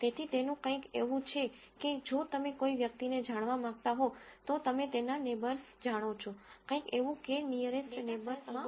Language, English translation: Gujarati, So, its something like if you want to know a person, you know his neighbors, something like that is what use using k nearest neighbors